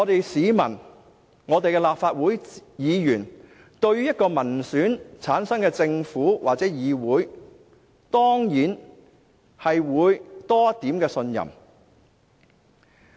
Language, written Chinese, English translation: Cantonese, 市民和立法會議員對於一個由民選產生的政府或議會，當然會有多一點信任。, Besides both the public and Members of the Legislative Council will certainly have a little more trust in a government or legislature elected by the people